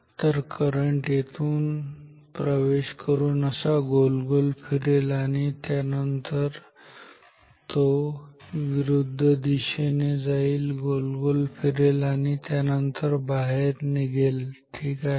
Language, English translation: Marathi, So, the current may flow say like this entering through this and then going round and round like this and then here it will go in the opposite direction round and round and then it goes out ok